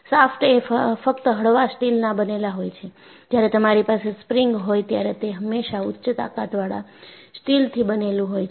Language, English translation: Gujarati, Shafts are made of only mild steel and when you have a spring, it is always made of high strength steel